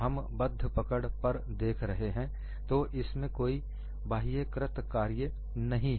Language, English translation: Hindi, We are looking at fixed grips, so there is no external work done